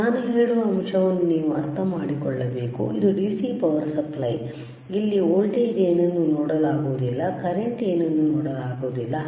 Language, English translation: Kannada, So, you have to understand this thing, the point that I am making, is thisthis is the DC power supply where we cannot see what is the voltage is, we cannot see what is the current rightis